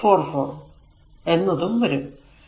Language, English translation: Malayalam, 44 will come